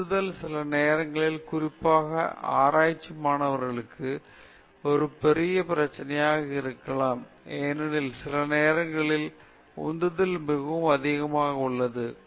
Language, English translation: Tamil, Motivation, sometimes, can be a big problem, particularly for research students, because we go through phases where sometimes the motivation is very high, sometimes the motivation is moderate, sometimes the motivation is very low okay